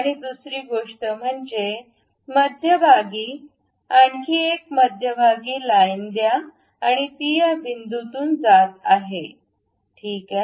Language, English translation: Marathi, And second thing let us have another center line join the mid one and that is passing through this point, fine